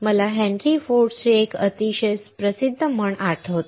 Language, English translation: Marathi, I recall a very famous saying by Henry Ford